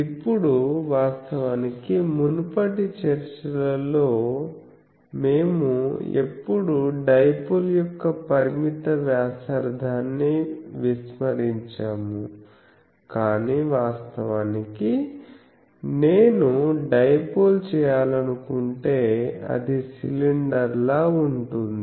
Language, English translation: Telugu, Now, actually in the earlier discussions we always neglected the finite radius of the dipole, but actually if I want to make a dipole, it will be a cylinder